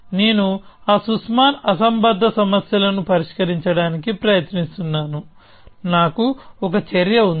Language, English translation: Telugu, I am trying to solve those Sussman anomaly problems; I have one action